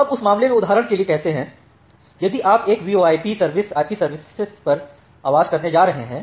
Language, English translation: Hindi, Now in that case say for example, if you are going to have a VoIP service, voice over IP services